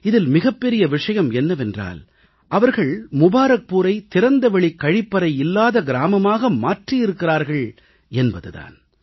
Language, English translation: Tamil, And the most important of it all is that they have freed Mubarakpur of the scourge of open defecation